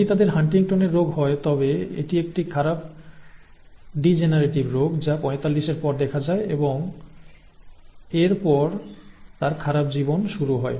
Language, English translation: Bengali, If they have HuntingtonÕs disease then it is a badly degenerative disease that sets in after 45 and its bad life after that